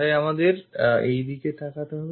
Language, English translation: Bengali, So, we have to look at from this direction